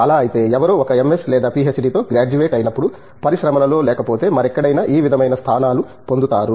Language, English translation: Telugu, And if so, when somebody graduates with an MS or PhD, what sort of positions do they get both industry and otherwise also go